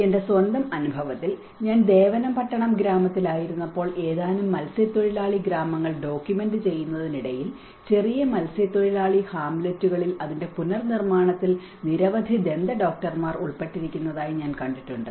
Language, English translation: Malayalam, My own experience when I was in Devanampattinam village, and I was documenting a few fisherman villages, I have come across even many dentists is involved in the reconstruction part of it in the smaller fisherman Hamlets